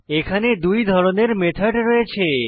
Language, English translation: Bengali, There are two types of methods